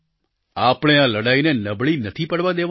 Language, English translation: Gujarati, We must not let this fight weaken